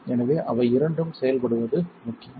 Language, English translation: Tamil, So, it is important to have them both functional working